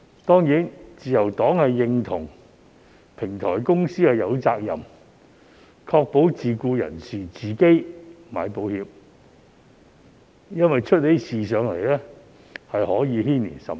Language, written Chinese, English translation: Cantonese, 當然，自由黨認同，平台公司有責任確保自僱人士自行買保險，因為一旦出事，可以牽連甚廣。, The Liberal Party certainly concurs that platform companies do have the responsibility to ensure that self - employed persons have taken out accident insurance for themselves because the impact can be far - reaching in the event of accidents